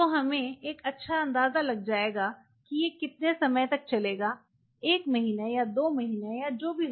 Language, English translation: Hindi, So, we have a fairly good idea that whether it will last a month or two months or whatever